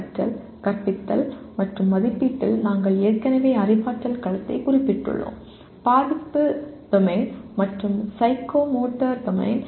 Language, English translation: Tamil, The Learning, Teaching and Assessment have domains including we have already mentioned cognitive Domain, Affective Domain, and Psychomotor Domain